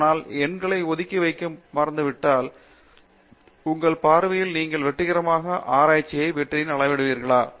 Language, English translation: Tamil, But, forgetting setting aside numbers, in your view in what way would you measure success in research